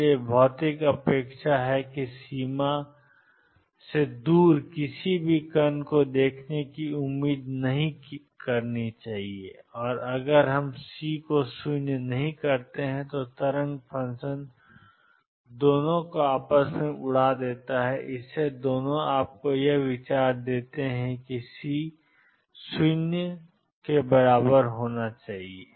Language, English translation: Hindi, So, physical expectation that we do not expect to see any particles far away from the boundary and also if we keep C non zero the wave function blows up both give you idea that C should be made 0